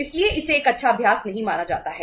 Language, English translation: Hindi, So it is not considered as a good practice